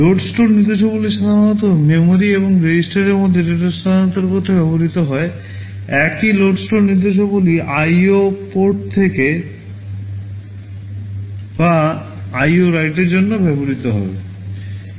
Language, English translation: Bengali, Say load store instructions are typically used to transfer data between memory and register, the same load store instructions will be used for reading from IO port or writing into IO ports